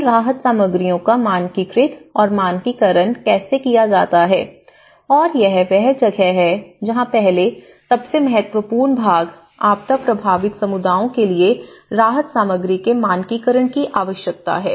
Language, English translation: Hindi, How to standardize these relief materials, how to standardize these packages and that is where the first and foremost important part, there is a need of standardization of relief materials in the legislations for the disaster affected communities